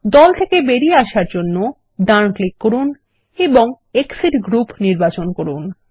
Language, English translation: Bengali, To exit the group, right click and select Exit Group